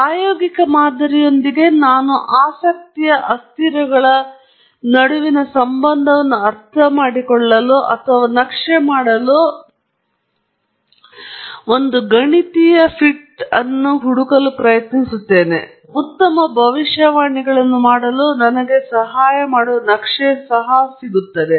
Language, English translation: Kannada, Whereas with the empirical model, I am trying to find a mathematical fit that helps me understand or map the relation between the variables of interest, and also a map that helps me make good predictions; that’s it